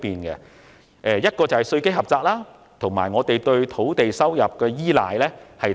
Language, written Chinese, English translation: Cantonese, 其一，本港稅基狹窄；其二，過度依賴土地收入。, First Hong Kongs tax base is narrow and second the Government is over - reliant on the revenue from land sale